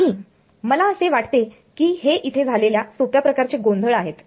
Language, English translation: Marathi, No, I think these are very simple sort of confusion over here